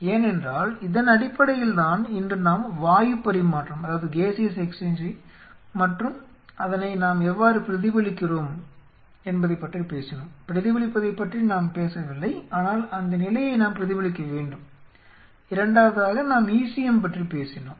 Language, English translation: Tamil, We have talked today about the gaseous exchange in how we mimic it we have not talk to the mimic it, but how we have to mimic that condition second, we talked about the ECM right